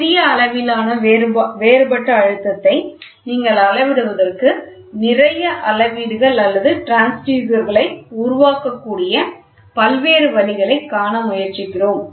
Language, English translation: Tamil, So, we are trying to see various ways where in which you can build up gauges or transducers such that you can measure small differential pressure